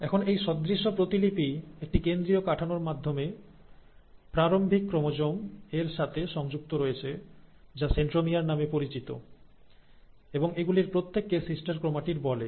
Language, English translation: Bengali, So now this duplicated copy is also attached to the parent chromosome by a central structure which is called as the centromere and each of these are called as sister chromatids